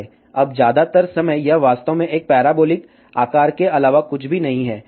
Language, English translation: Hindi, Now, most of the time, it is actually nothing but a parabolic shape